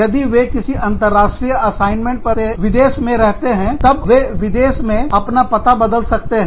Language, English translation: Hindi, If they are on an international assignment abroad, then they may change addresses, within the foreign country